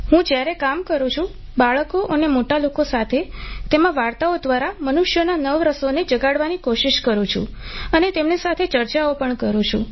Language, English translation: Gujarati, When I work, with children and older people, I try to awaken the Navrasas in human beings through stories and discuss it with them